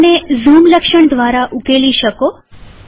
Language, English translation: Gujarati, You can solve this through the zoom feature